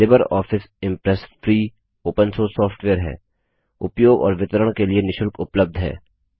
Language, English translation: Hindi, LibreOffice Impress is free, Open Source software, free of cost and free to use and distribute